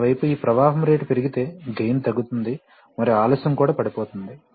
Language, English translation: Telugu, On the other hand, if this flow is increased, if this flow rate is increased then the gain will fall and the delay will also fall